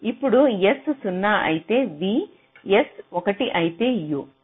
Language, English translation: Telugu, so if s is zero, v, if s is one, u